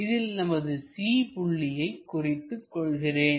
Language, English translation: Tamil, So, the C point is somewhere there